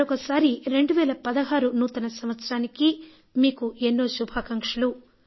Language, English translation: Telugu, Dear Countrymen, greetings to you for a Happy New Year 2016